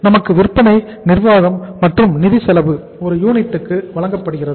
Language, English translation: Tamil, We are given selling, administration, and the financial cost per unit